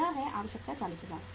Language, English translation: Hindi, This is the, the requirement is 40000